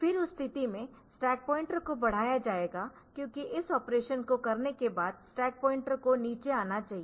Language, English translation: Hindi, Then in that case the stack pointer will be incremented because after doing this operation the stack pointer should come down